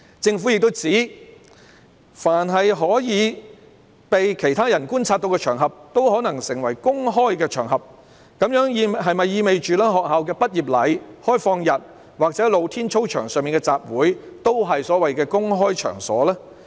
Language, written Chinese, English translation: Cantonese, 政府又指，凡可被其他人觀察到的場合，也有可能成為公開場合，這樣是否意味着學校畢業禮、開放日或露天操場上的集會也是所謂"公開場所"？, The Government also indicated that any occasion which could be observed by other people might be construed as a public occasion . Does it imply that graduation ceremonies open days and assemblies on open playgrounds in schools are also what is called public occasions?